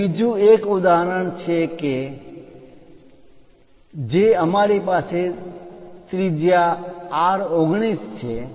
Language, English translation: Gujarati, Here another example we have again radius R19